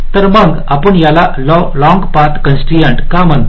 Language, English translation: Marathi, so why do we call it a long, long path constraint